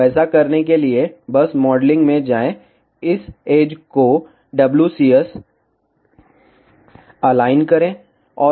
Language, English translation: Hindi, So, to do that just go to modeling, select this edge align WCS